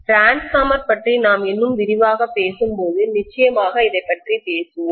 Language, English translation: Tamil, We will talk about this definitely when we talk about transformer in a greater detail, is that clear